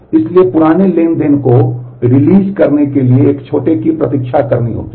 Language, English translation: Hindi, So, older transaction may wait for the younger one to release the item